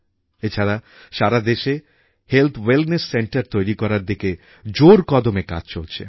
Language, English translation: Bengali, Also, extensive work is going on to set up Health Wellness Centres across the country